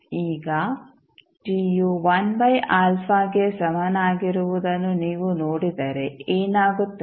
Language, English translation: Kannada, Now, if you see at time t is equal to 1 by alpha what will happen